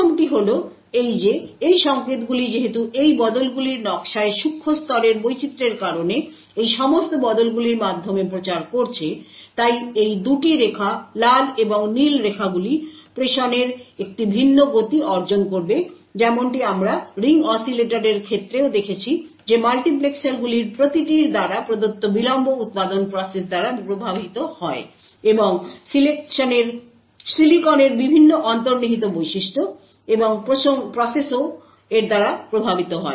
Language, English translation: Bengali, The 1st is the fact that these signals since they are propagating through all of these switches due to the nanoscale variations in the design of these switches, these 2 lines the red and the blue line would attain a different speed of transmission as we have seen in the case of ring oscillator as well the delays provided by each of these multiplexers is influenced by the manufacturing processes and the various intrinsic properties of the silicon and the process as well